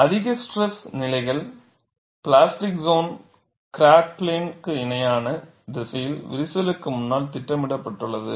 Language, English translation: Tamil, At high stress levels, the plastic zone is projected in front of the crack in the direction parallel to the crack plane; that is what happens